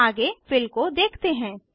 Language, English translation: Hindi, Next, lets look at Fill